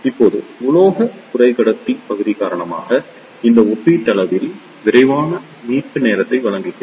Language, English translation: Tamil, Now, due to the metal semiconductor region, it provides relatively fast recovery time